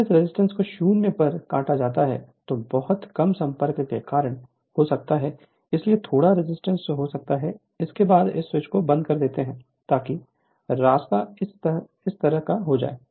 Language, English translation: Hindi, When you cut this resistance to 0 right maybe because of some contact some little resistance may be there after that you close this switch such that the path will be like this